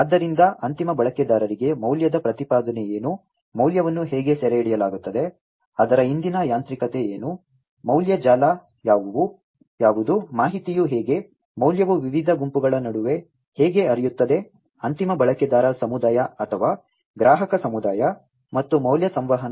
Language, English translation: Kannada, So, to the end user what is the value proposition, how the value is captured, what is the mechanism behind it, what is the value network, how the information, is how the value are going to flow between the different groups in the end user community or the customer community, and the value communication